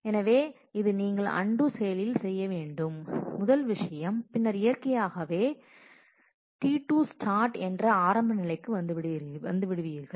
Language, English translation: Tamil, So, this is the first thing you undo and then naturally you have come to the beginning of T 2 start